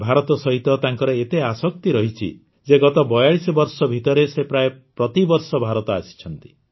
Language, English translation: Odia, He has so much affection for India, that in the last 42 forty two years he has come to India almost every year